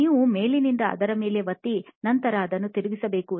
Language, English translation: Kannada, You have to press on it from the top and then rotate it